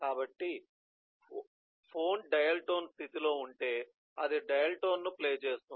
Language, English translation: Telugu, so if the phone is in dial tone state, then you’re the activity is, it will play the dial tone